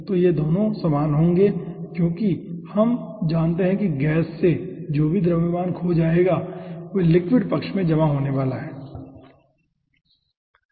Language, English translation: Hindi, so because this 2 will be same, because we know that whatever amount of mass will be aah being lost from the gas, that will be accumulated in the liquid side